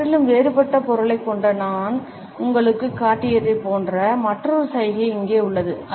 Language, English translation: Tamil, Here is another gesture that is very similar to the one I have just shown you that has a completely different meaning